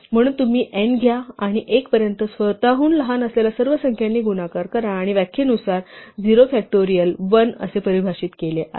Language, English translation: Marathi, So you take n and multiply it by all the numbers smaller than itself up to 1 and by definition 0 factorial is defined to be 1